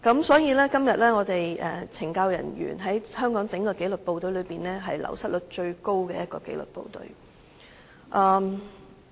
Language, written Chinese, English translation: Cantonese, 所以，今天懲教署便是香港紀律部隊中流失率最高的部門。, Therefore at present CSD is the government department which has the highest wastage rate